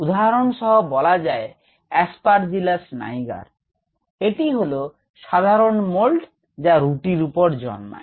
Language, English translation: Bengali, for example, aspergillus niger is a common mold that grows on bread